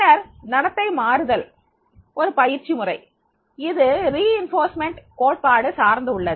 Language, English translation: Tamil, Then the behavior modification is a training method that is primarily based on the reinforcement theory